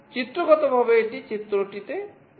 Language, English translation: Bengali, Pictorially it is shown in the diagram